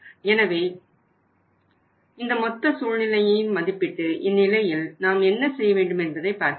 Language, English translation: Tamil, So we will have to see and evaluate the whole situation that what should we do in this case